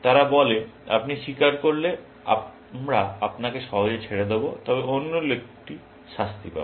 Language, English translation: Bengali, They say, if you confess, we will let you off lightly, but the other guy will get punishment